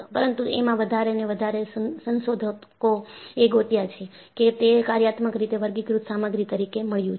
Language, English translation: Gujarati, But, more and more, research people have done, it is found to be a functionally greater material